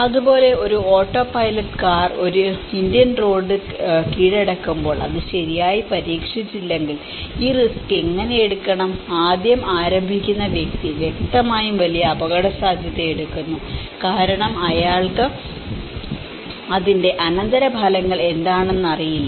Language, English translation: Malayalam, Smilarly, an autopilot car when subjected in an Indian roads unless if it is not properly tested so, how to take this risk to start with, the person who is starting in the beginning is obviously taking a huge risk because he do not know what is the consequences of it, it could be a drunk which is coming into the market to solve to cure a particular disease